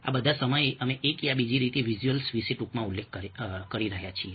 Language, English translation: Gujarati, all these while we have been briefly mentioning about visuals in one way or the other